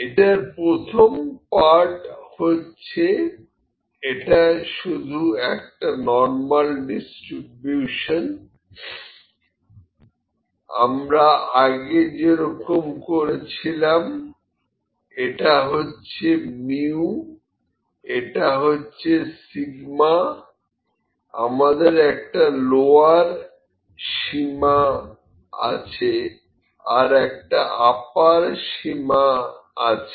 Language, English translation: Bengali, Now, first part is just the normal distribution as we did mu is this, sigma is this, we have a lower bound, we have an upper bound, ok